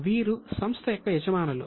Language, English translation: Telugu, These are the owners of the company